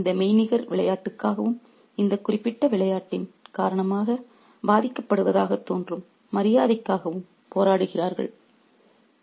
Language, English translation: Tamil, So, they fight for this virtual game and for the honor which seems to be affected because of this particular game